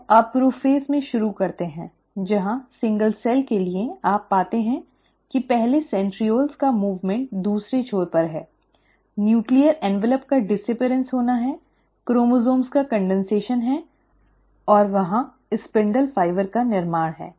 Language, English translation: Hindi, So, you start in prophase where for the single cell, you find that the first, there is a movement of the centrioles to the other end, there is a disappearance of the nuclear envelope, there is the condensation of the chromosomes and there is the formation of the spindle fibre